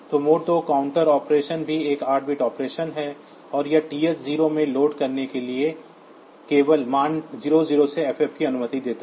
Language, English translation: Hindi, So, mode 2 counter operation is also an 8 bit operation, and it is it allows only values 0 0 to ff to be loaded into TH 0